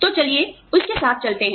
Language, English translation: Hindi, So, let us get on with it